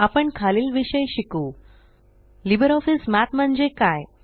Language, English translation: Marathi, We will learn the following topics: What is LibreOffice Math